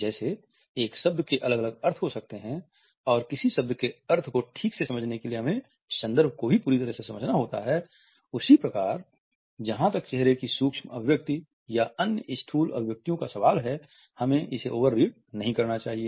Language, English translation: Hindi, A word can have different meanings and in order to place the meaning of a word properly we also have to understand the context completely and therefore, we should not over read as far as micro expressions or other macro facial expressions are concerned